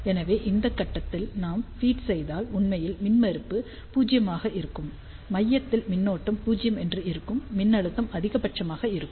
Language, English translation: Tamil, So, if we feed at this point impedance will be actually 0; at the center current will be 0, voltage will be maximum